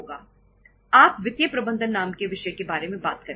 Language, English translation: Hindi, You are going to talk about the subject called as financial management